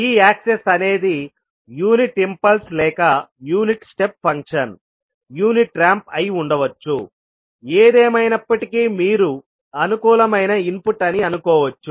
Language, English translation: Telugu, So, this access can be either unit impulse or maybe unit step function, unit ramp, whatever it is, you can assume it convenient input